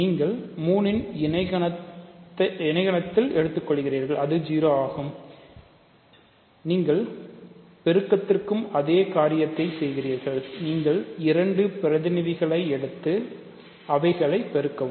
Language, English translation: Tamil, So, you take the coset of 3 which is 0, you do exactly the same thing for multiplication, you take two representatives and multiply them